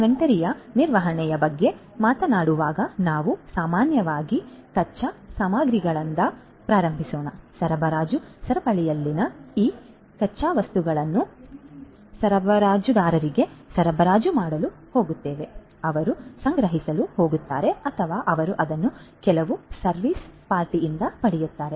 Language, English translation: Kannada, So, for inventory management we are typically talking about let us say first starting with raw materials, these raw materials in the supply chain are going to be supplied to the raw materials suppliers, they are going to procure or they are going to get it through some other service party